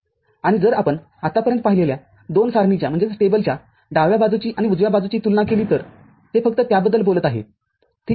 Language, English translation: Marathi, And, if you compare the left hand side and right hand side of the 2 tables that we have seen so far it is just is talking about that, ok